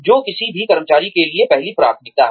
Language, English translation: Hindi, Which is the first priority for any employee